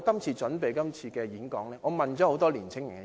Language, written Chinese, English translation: Cantonese, 為了準備今次發言，我亦訪問了很多年青人。, To prepare for this speech I have also interviewed a number of young people